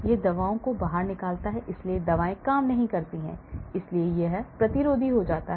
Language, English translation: Hindi, It throws the drugs out, so the drugs do not act, so it becomes resistant